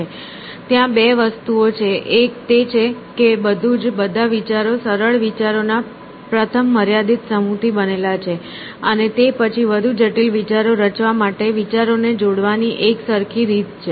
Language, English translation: Gujarati, So, there are two things he is saying one is that everything, all ideas are made up of first finite set of simple ideas, and then there is a uniform way of combining ideas to form more complex ideas